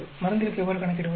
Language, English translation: Tamil, How do you calculate for drug